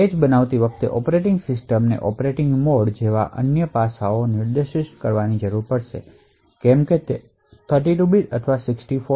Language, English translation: Gujarati, Also, while creating the page the operating system would need to specify other aspects such as the operating mode whether it is 32 bit or 64 bits